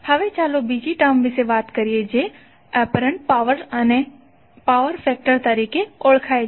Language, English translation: Gujarati, Now let’s talk about another term called apparent power and the power factor